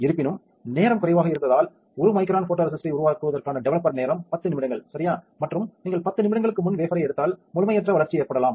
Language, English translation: Tamil, However, if there is a if the time is less there is a developer time for developing 1 micron of photoresist is 10 minutes right and if you take out the wafer before 10 minutes, then there can be incomplete development